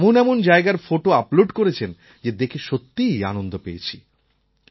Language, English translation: Bengali, Photos of such magnificent places were uploaded that it was truly a delight to view them